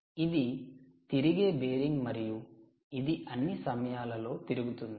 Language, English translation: Telugu, this is the bearing which is rotating all the time